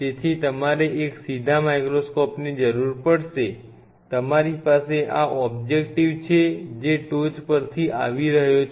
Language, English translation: Gujarati, So, 4 dag you will be needing an upright microscope means, you have this objective which is coming from the top